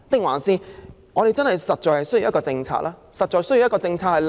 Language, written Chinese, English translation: Cantonese, 還是我們實在需要有務實的政策？, Or do we really need to put in place a pragmatic policy?